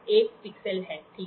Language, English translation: Hindi, There is 1 pixel, ok